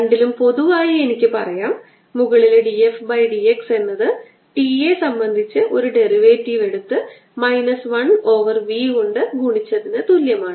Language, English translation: Malayalam, in both i can say that d f d x in the upper one is equivalent, taking a derivative with respect to t and multiplying by v